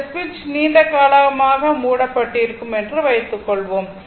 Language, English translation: Tamil, And it suppose this switch is closed for long time